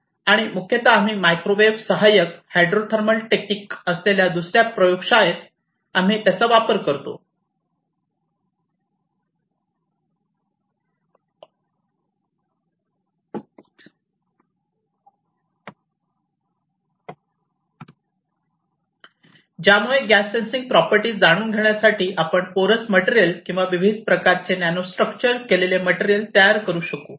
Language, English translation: Marathi, And mostly we use it in the other lab we have done microwave assisted hydrothermal technique were we can make porous material or different types of nanostructured material to know their gas sensing properties